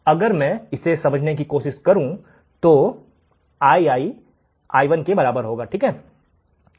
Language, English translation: Hindi, And here if I want to understand then Ii would be equal to I1 right